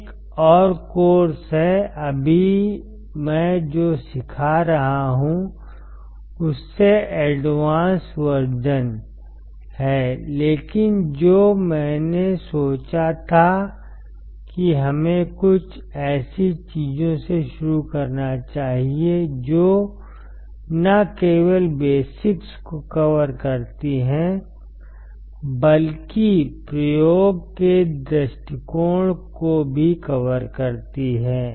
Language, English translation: Hindi, There is another course which is advance version than what I am teaching right now, but what I thought is let us start with something which covers not only basics, but also covers the experiment point of view